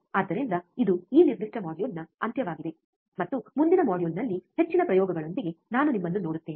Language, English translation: Kannada, So, this is the end of this particular module, and I will see you in the next module with more experiments